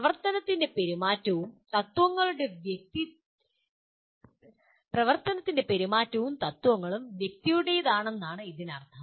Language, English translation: Malayalam, It means the conduct and principles of action are owned by the individual